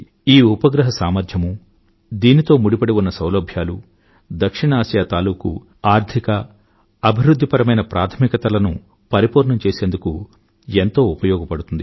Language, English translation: Telugu, The capacities of this satellite and the facilities it provides will go a long way in addressing South Asia's economic and developmental priorities